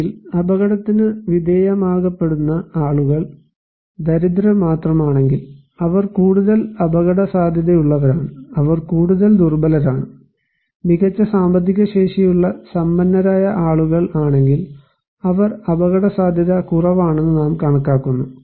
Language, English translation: Malayalam, Or if the people who are exposed they are only poor, they are more at risk, they are more vulnerable and if a rich people who have better economic capacity, we consider to be that they are less risk